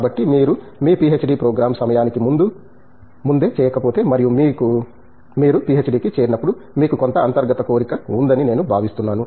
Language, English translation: Telugu, So, I think you should get this done, if it was not done before by the time of your PhD program and when you sign up for a PhD I think you have some inner urge